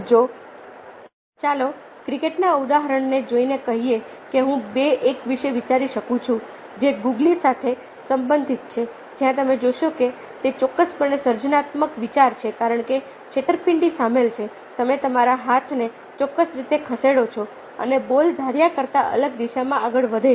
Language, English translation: Gujarati, if a looking at the example of, lets say, cricket, i can think of two: one which relates to googly, where you see that its definitely creative idea because deception is involved: you move your hand in a particular way and ball moves in the diff in the different direction from what is anticipation